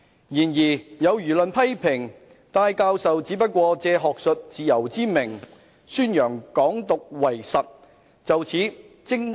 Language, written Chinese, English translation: Cantonese, 然而有輿論批評，戴教授只不過借學術自由之名，宣揚港獨為實。, However there are public criticisms that Professor TAI is actually promoting Hong Kong independence under the pretext of academic freedom